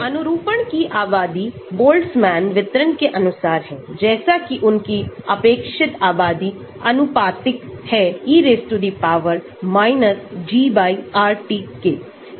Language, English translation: Hindi, The conformations are populated according to Boltzmann distribution, such that their relative populations are proportional to e G/RT